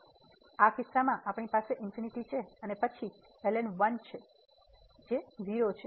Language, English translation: Gujarati, So, in this case we have the infinity here and then ln 1 so 0